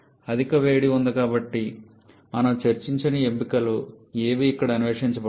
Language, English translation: Telugu, Super heating is there but none of the options that we discussed about has been explored here